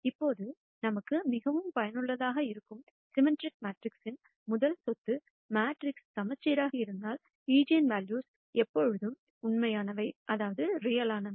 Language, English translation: Tamil, Now, the first property of symmetric matrices that is very useful to us is; if the matrix is symmetric, then the eigenvalues are always real